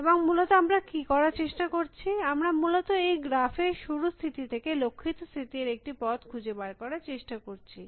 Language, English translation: Bengali, And essentially, what we are trying to do is to find a path from a start state to a goal state in this graph essentially